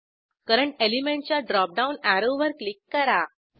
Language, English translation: Marathi, Click on Current element drop down arrow button